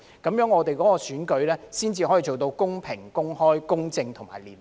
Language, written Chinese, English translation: Cantonese, 如此，我們的選舉才可做到公平、公開、公正和廉潔。, Only in this way can our elections be conducted in a fair open just and clean manner